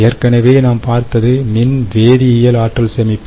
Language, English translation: Tamil, so thats the electrochemical energy storage